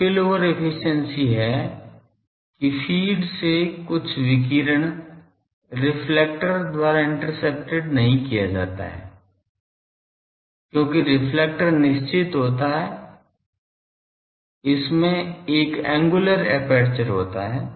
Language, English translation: Hindi, Spillover efficiency is that some radiation from the feed is not intercepted by the reflector because, reflector is finite it has an angular aperture